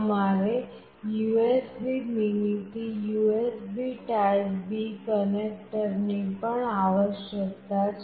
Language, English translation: Gujarati, You also required the USB mini to USB typeB connector